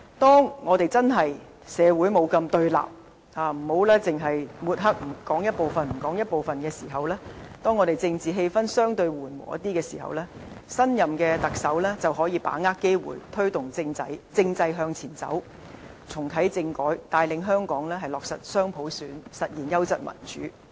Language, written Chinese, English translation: Cantonese, 當社會不再那麼對立，不只是抹黑和斷章取義，當政治氣氛相對緩和的時候，新任特首便可把握機會，推動政制向前走，重啟政改，帶領香港落實雙普選，實現優質民主。, When society is less confronted and political atmosphere becomes relatively relax in which we are no longer preoccupied by defamation and wilful misinterpretation the next Chief Executive can then seize the chance to take the political system forward and reactivate constitutional reform so as to lead Hong Kong to implement dual universal suffrage thereby achieving quality democracy